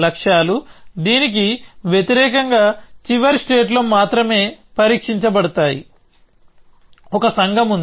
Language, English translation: Telugu, Goals tested only on the final state as opposed to this, there is a community